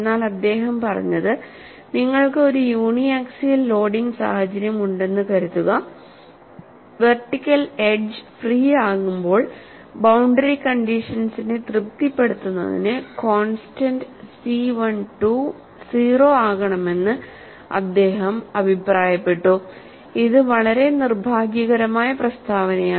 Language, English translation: Malayalam, But what he said was, suppose you have a uniaxial loading situation when the vertical edge is free, he made a comment that the constant C 1 2 should become 0 to satisfy the boundary condition, this is the very unfortunate statement